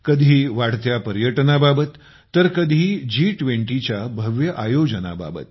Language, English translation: Marathi, Sometimes due to rising tourism, at times due to the spectacular events of G20